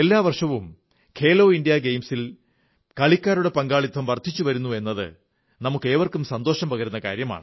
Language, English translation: Malayalam, It is very pleasant for all of us to learn that the participation of athletes in 'Khelo India Games' is on the upsurge year after year